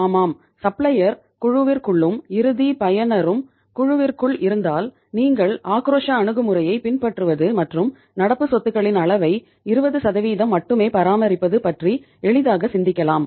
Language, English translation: Tamil, So yes if the supplier is also within the group and final user is also within the group then you can easily think of adopting the say aggressive approach and maintaining the level of current assets that is just 20%